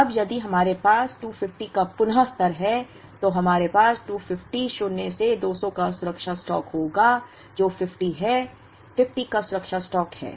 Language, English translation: Hindi, Now, if we have reorder level of 250, then we will have a safety stock of 250 minus 200 which is 50, safety stock of 50